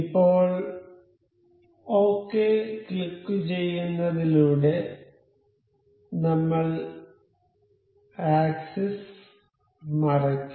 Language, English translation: Malayalam, Now, it is we click on ok we will hide the axis